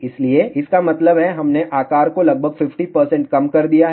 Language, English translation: Hindi, So; that means, we have reduce the size by almost 50 percent